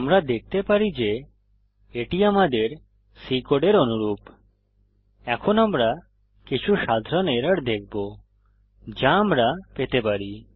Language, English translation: Bengali, We can see that it is similar to our C code, Now we will see some common errors which we can come across